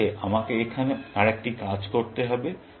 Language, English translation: Bengali, I must do another thing here, before that